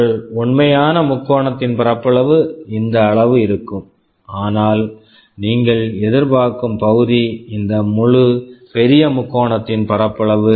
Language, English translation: Tamil, Like your actual triangle area will be only this much, but your expected area was the area of this whole larger triangle